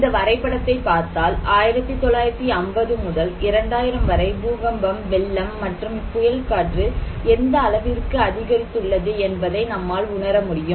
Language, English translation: Tamil, You can see this graph also that is showing that how earthquake, flood, windstorm is increasing from 1950 to 2000